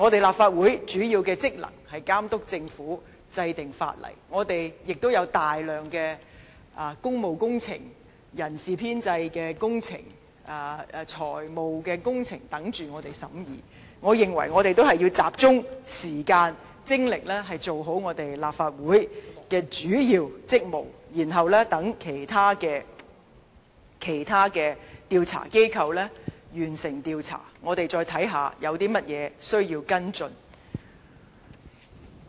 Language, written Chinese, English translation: Cantonese, 立法會主要的職能是監督政府，制定法例，我們亦有大量工務工程、人事編制及財務項目等候我們審議，我認為我們應集中時間和精力做好立法會的主要職務，待其他調查機構完成調查，我們再看看有甚麼需要跟進。, There are a large number of public works projects manpower establishment proposals and items of the Finance Committee waiting for our scrutiny . I believe we should concentrate our time and efforts on the main duties of the Legislative Council and let other investigative bodies complete their investigations . Then we will see what needs to be followed up